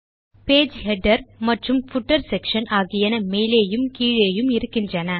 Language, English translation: Tamil, Page Header and Footer section that form the top and the bottom